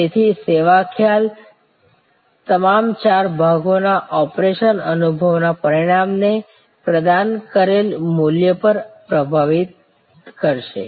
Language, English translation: Gujarati, service concept will therefore, empress all these four parts operation experience outcome on the value provided